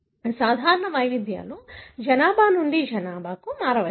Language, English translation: Telugu, The common variants could vary from population to population